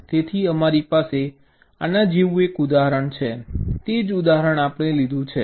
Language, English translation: Gujarati, so you have an example like this, the same example we took